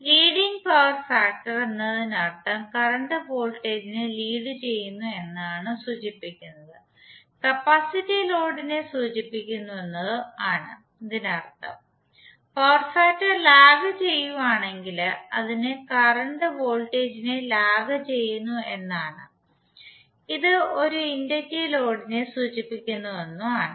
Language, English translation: Malayalam, Leading power factor means that currently it’s voltage which implies that it is having the capacitive load file in case of lagging power factor it means that current lags voltage and that implies an inductive load